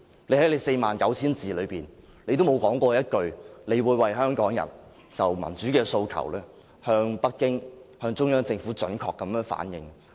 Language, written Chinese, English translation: Cantonese, 她在其49000字之中，沒有說過一句她會為香港人就民主的訴求，向北京及中央政府準確反映。, In her Policy Address of 49 000 words she says nothing about reflecting Hong Kong peoples aspiration to democracy to Beijing and the Central Government